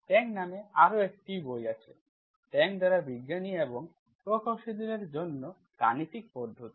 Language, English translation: Bengali, There is a book called Tang, mathematical methods for scientists and engineers by Tang